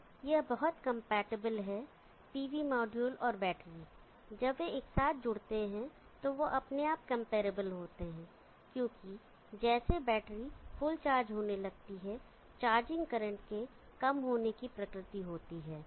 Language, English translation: Hindi, So this is very comparable the pv module and battery when they connect together they are automatically comparable because of the nature of charging current decreasing as the battery starts getting fully charged because when it reaches full charge the battery has to just need trickle charge